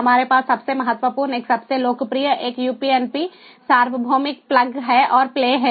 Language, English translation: Hindi, we have the most important one, the most popular one, the upnp, universal plug and play